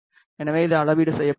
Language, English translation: Tamil, So, it is calibrated